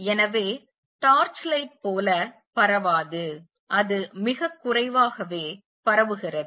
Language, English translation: Tamil, So, does not spread like a torch light, it is spread very little